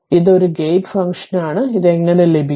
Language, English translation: Malayalam, And it is a gate function, so how we will get it